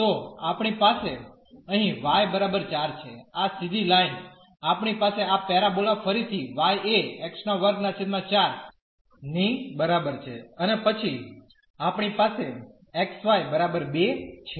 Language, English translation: Gujarati, So, we have here y is equal to 4 this straight line, we have this parabola again y is equal to x square by 4 and then we have x y is equal to 2